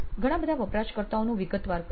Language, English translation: Gujarati, Lots of users we detailed out